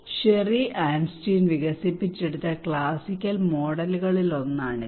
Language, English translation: Malayalam, This is one of the classical model developed by Sherry Arnstein